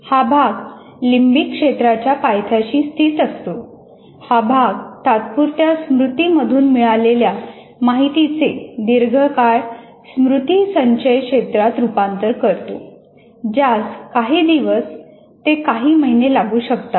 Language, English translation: Marathi, Located at the base of the limbic area, it converts information from working memory to the long term storage region which may take days to months